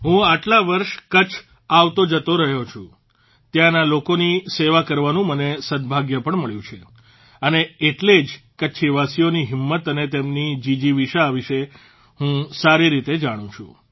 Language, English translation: Gujarati, I have been going to Kutch for many years… I have also had the good fortune to serve the people there… and thats how I know very well the zest and fortitude of the people of Kutch